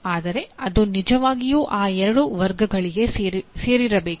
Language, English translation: Kannada, But they truly should belong to those two categories